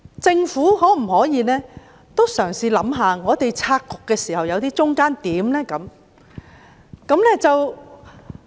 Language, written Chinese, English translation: Cantonese, 政府可否嘗試想一想，在我們拆局時能否取得中間點？, Can the Government try to strike a balance when it disentangles the present situation?